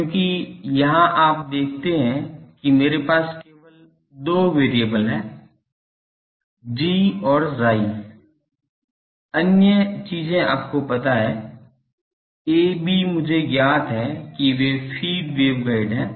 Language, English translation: Hindi, Because, here you see that I have only 2 variables G and chi other things are known, a b are known to me that those are feed waveguide thing